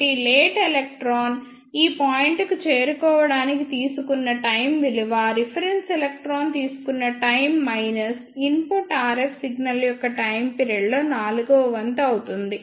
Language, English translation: Telugu, So, time taken by the early electron to reach to this point will be time taken by the reference electron plus one fourth of the time period of the input RF signal